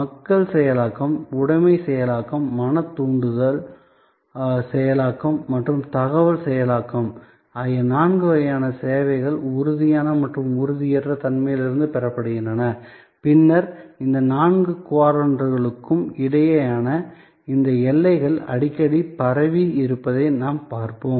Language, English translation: Tamil, So, people processing, possession processing, mental stimulus processing and information processing are the four kinds of services derived from the spectrum of tangibility and intangibility and as later on we will see that these boundaries among these four quadrants are often diffused